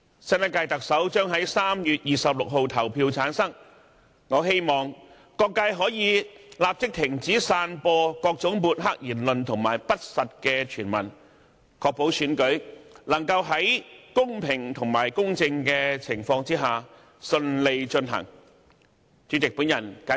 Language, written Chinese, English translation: Cantonese, 新一屆特首將於3月26日投票產生，我希望各界可以立即停止散播各種抹黑言論和不實傳聞，確保選舉能夠在公平和公正的情況下順利進行。, The new Chief Executive will be returned by election on 26 March . I hope all parties will immediately stop spreading smearing remarks and false hearsays so as to ensure the smooth conduct of the election under equitable and fair conditions